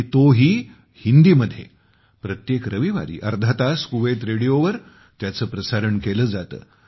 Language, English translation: Marathi, It is broadcast every Sunday for half an hour on Kuwait Radio